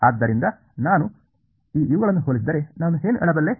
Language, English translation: Kannada, So, if I just compare these guys what can I say